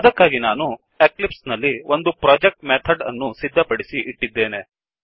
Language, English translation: Kannada, So, in the eclipse, I have already created a project Methods